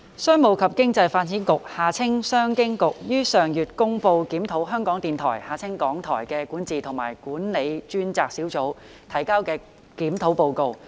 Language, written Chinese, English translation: Cantonese, 商務及經濟發展局於上月公布檢討香港電台的管治及管理專責小組提交的《檢討報告》。, Last month the Commerce and Economic Development Bureau CEDB released the Review Report submitted by a dedicated team to review the governance and management of Radio Television Hong Kong RTHK